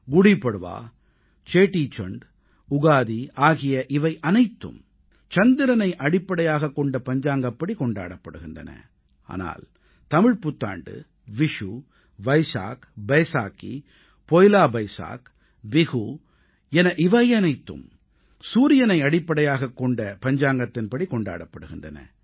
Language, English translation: Tamil, GudiPadva, Chettichand, Ugadi and others are all celebrated according to the lunar Calendar, whereas Tamil PutanduVishnu, Baisakh, Baisakhi, PoilaBoisakh, Bihu are all celebrated in accordance with solar calendar